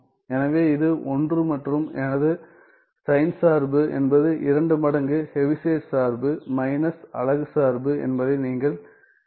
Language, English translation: Tamil, So, then I this is 1 and you can check that my sign function is 2 times Heaviside function minus the unit function right